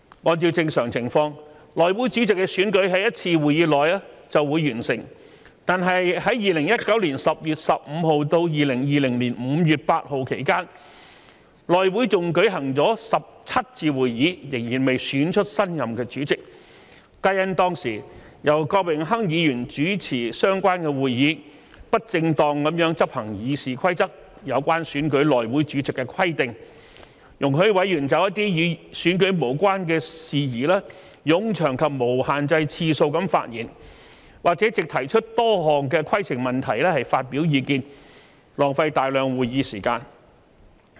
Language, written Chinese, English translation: Cantonese, 按照正常情況，內會主席的選舉在一次會議內便會完成，但在2019年10月15日至2020年5月8日期間，內會共舉行17次會議，仍未選出新任主席，皆因當時由前議員郭榮鏗主持相關會議，不正當執行《議事規則》有關選舉內會主席的規定，容許委員就一些與選舉無關的事宜作冗長及無限制次數的發言，或藉提出多項規程問題發表意見，浪費大量會議時間。, Under normal circumstances the election of the House Committee Chairman can be done in one meeting . However in the period from 15 October 2019 to 8 May 2020 during which 17 House Committee meetings were held a new Chairman could still not be elected . This is because Mr Dennis KWOK a former Member when presiding over the related meetings did not properly perform his duties in accordance with the part of RoP concerning the election of the House Committee Chairman properly but instead allowed Members to deliver lengthy and unlimited number of speeches on matters unrelated to the election or to raise numerous points of order to express their opinions thus wasting a lot of meeting time